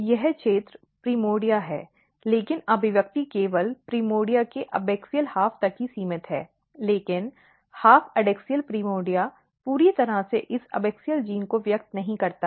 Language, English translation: Hindi, So, if you look if this is the primordia this region total is the primordia, but expression is only restricted to the abaxial half of the primordia, but half adaxial primordia totally does not express this abaxial genes